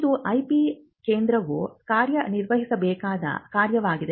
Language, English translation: Kannada, Now, this is a function that the IP centre has to discharge